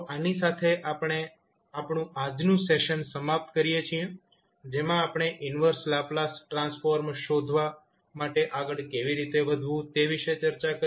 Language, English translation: Gujarati, So, with this we can close our today's session, where we discuss about how to proceed with finding out the inverse Laplace transform